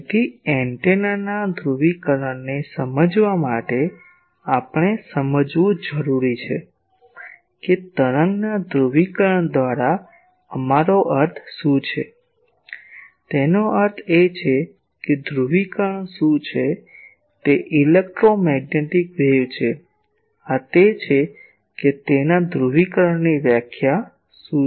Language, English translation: Gujarati, So, to understand antennas polarization; we need to understand what do we mean by polarisation of a wave; that means, an electromagnetic wave what is the polarisation is this what is the definition of polarisation of that